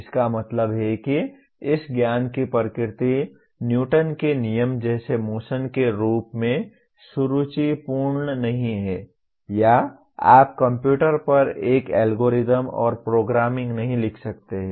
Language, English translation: Hindi, That means the nature of this knowledge is not as elegant as like Newton’s Laws of Motion or you cannot write an algorithm and programming to the computer